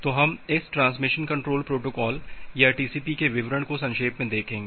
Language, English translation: Hindi, So, we will look in to the details of this Transmission Control Protocol or TCP in short